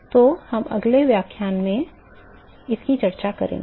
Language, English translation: Hindi, So, that is what we going to start in the next lecture